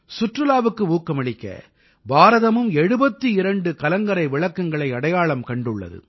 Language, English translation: Tamil, To promote tourism 71 light houses have been identified in India too